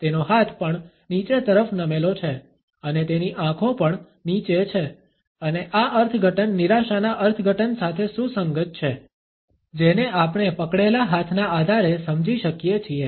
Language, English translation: Gujarati, His hand is also tilted downwards and his eyes are also downcast and this interpretation is consistent with the interpretation of frustration which we can understand on the basis of the clenched hands